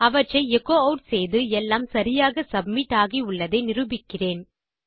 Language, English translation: Tamil, Ill just echo them out to show you that all these have been submitted correctly